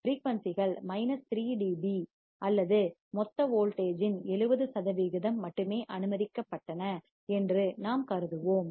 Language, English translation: Tamil, But we will consider only frequencies that are allowed are about minus 3 dB or 70 percent of the total voltage